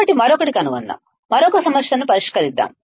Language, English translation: Telugu, So, let us find another, let us solve another problem